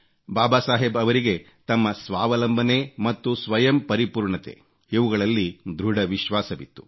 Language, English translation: Kannada, Baba Saheb had strong faith in selfreliance